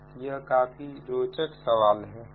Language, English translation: Hindi, so this a very interesting problem